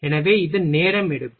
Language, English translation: Tamil, So, it takes time